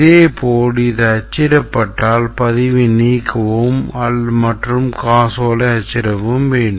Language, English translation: Tamil, Similarly for if it is a cancellation then update, delete record and print check